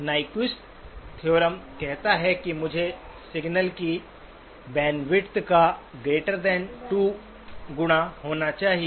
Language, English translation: Hindi, Nyquist theorem says that I must be greater than two times the band width of the signal